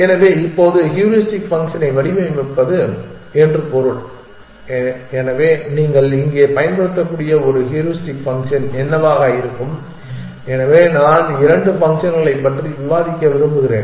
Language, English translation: Tamil, So, now, it means to design the heuristic function, so what is what can be a heuristic function that you can use here, so I want to discuss two functions